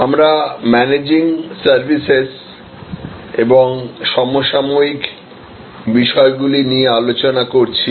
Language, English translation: Bengali, We have been discussing about Managing Services and the contemporary issues